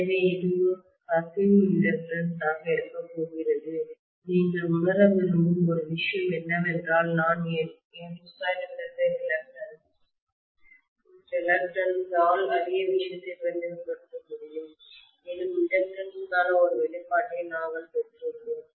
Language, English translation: Tamil, So this is going to be my leakage inductances one thing I want you to realise is I can represent the same thing by N square by reluctance as well we derived one expression for inductance